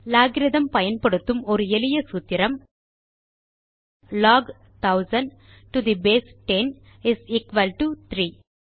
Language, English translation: Tamil, A simple formula using logarithm is Log 1000 to the base 10 is equal to 3